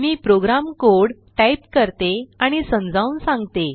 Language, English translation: Marathi, Let me type and explain the program code